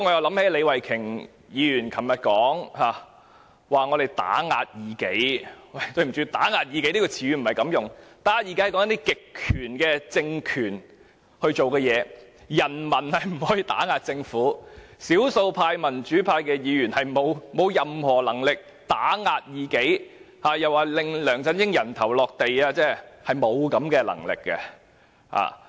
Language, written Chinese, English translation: Cantonese, 對不起，"打壓異己"這個詞語不是這樣用的，這詞語用來形容一些極權的政權所做的事，人民不可以打壓異己，少數民主派議員沒有任何能力打壓異己，又說我們要令梁振英"人頭落地"，我們根本沒有這種能力。, Excuse me the expression oppressed dissidents should not be used this way; it is used to describe the deeds of totalitarian regimes the masses cannot oppress dissidents . The democrats being in the minority do not have the ability to oppress dissidents; she further said we want to send LEUNG Chun - ying to the guillotine; we simply do not have this power